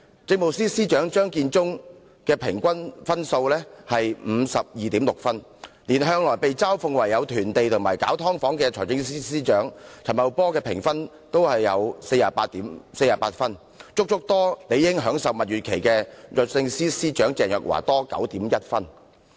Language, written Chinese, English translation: Cantonese, 政務司司長張建宗的平均得分是 52.6， 連向來被嘲諷囤地及搞"劏房"的財政司司長陳茂波的評分也有 48.0， 較理應正在享受蜜月期的律政司司長鄭若驊還要高 9.1 分。, Chief Secretary for Administration Matthew CHEUNG scored an average of 52.6 points; even Financial Secretary Paul CHAN who has been ridiculed for land hoarding and engaging in the business of operating subdivided units scored 48.0 points which is 9.1 points higher than Ms CHENG who is supposedly having a honeymoon period